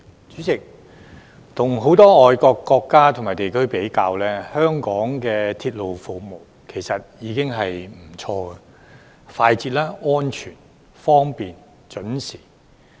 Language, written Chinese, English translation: Cantonese, 主席，與很多海外國家及地區比較，香港的鐵路服務已經不錯：快捷、安全、方便、準時。, President compared with many overseas countries and regions the railway service of Hong Kong is already quite good it is fast safe convenient and on time